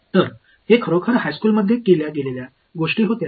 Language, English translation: Marathi, So, this is actually goes back to something which would have done in high school